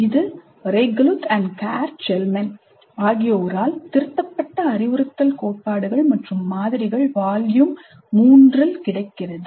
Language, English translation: Tamil, This is available in the instructional theories and models volume 3 edited by Regulath and Karl Chalman